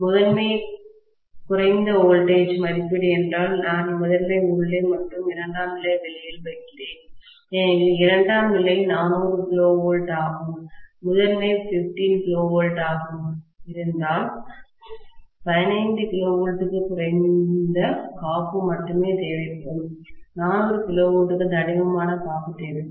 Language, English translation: Tamil, If the primary is of low voltage rating, then I will put primary inside and secondary outside, because, if the secondary is of 400 kV and primary is of 15 kV, 15 kV will require only less insulation, whereas 400 kV will require thicker insulation